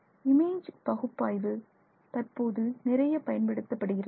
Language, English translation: Tamil, So, image analysis is often used